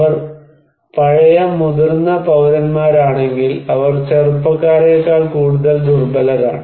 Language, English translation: Malayalam, If they are old senior citizen, they are more vulnerable than young people